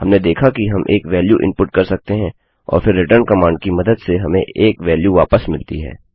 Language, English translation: Hindi, We saw that we can input a value and then returned a value echoing out using a return command